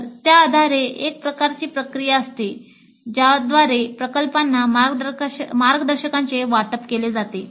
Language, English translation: Marathi, So based on that there is a kind of a process by which the guides are allocated to the projects